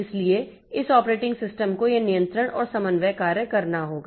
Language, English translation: Hindi, So, this operating system has to do this control and coordination job